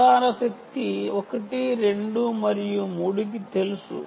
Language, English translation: Telugu, ok, transmit power is known to one, two and three